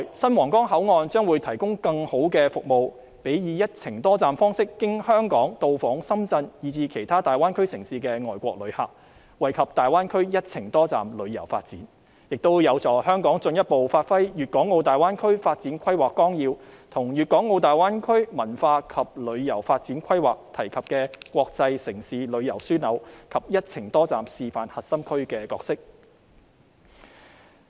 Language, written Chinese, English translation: Cantonese, 新皇崗口岸未來會提供更好的服務予"一程多站"方式經香港到訪深圳以至其他大灣區城市的外國旅客，惠及大灣區"一程多站"旅遊發展，這亦有助香港進一步發揮《粵港澳大灣區發展規劃綱要》及粵港澳大灣區文化及旅遊發展規劃提及的國際城市旅遊樞紐，以及"一程多站"示範核心區的角色。, The new Huanggang Port will better serve inbound overseas visitors who visit Shenzhen and other cities in the Greater Bay Area on a one - trip multi - destination basis and benefit the development of one - trip multi - destination tourism in the Greater Bay Area . This will also help Hong Kong to further act fully as an international tourism hub mentioned in the Outline Development Plan for the Guangdong - Hong Kong - Macao Greater Bay Area and the Culture and Tourism Development Plan for the Guangdong - Hong Kong - Macao Greater Bay Area and better display our role as a core demonstration zone for multi - destination tourism